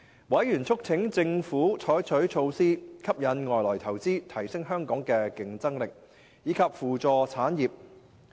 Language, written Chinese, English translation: Cantonese, 委員促請政府採取措施吸引外來投資，提升香港的競爭力，以及扶助產業。, Members urged the Government to implement measures to attract foreign investments enhance Hong Kongs competitiveness and assist industries